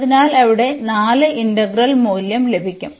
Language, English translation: Malayalam, So, we will get 4 the integral value there